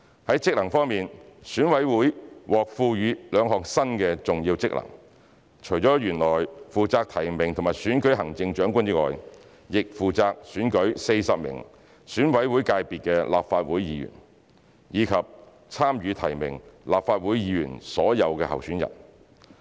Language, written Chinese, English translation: Cantonese, 在職能方面，選委會獲賦予兩項新的重要職能，除了原來負責提名和選舉行政長官外，亦負責選舉40名選委會界別的立法會議員，以及參與提名立法會議員所有候選人。, EC will be conferred with two new functions . Apart from performing the original functions of nominating candidates for the Chief Executive and electing the Chief Executive EC will also be responsible for electing 40 Members of the Legislative Council from the EC constituency and nominating all candidates in the Legislative Council elections